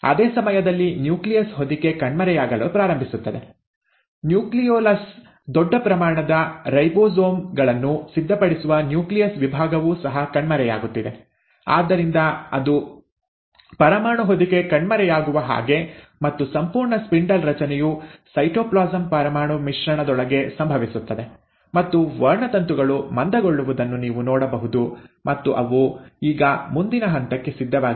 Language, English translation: Kannada, At the same time, the nuclear envelope, right, starts disappearing, even the nucleolus, which is the section where the nucleus prepares a large amount of ribosomes is also disappearing, so it is like the nuclear envelope disappears and the entire spindle formation happens within the cytoplasm nuclear mix, and you find that the chromosomes have condensed and they are now ready for the next step